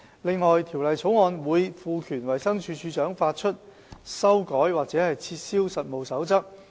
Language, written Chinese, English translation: Cantonese, 此外，《條例草案》會賦權衞生署署長發出、修改或撤銷實務守則。, The Bill will also empower DoH to issue revise or revoke the codes of practice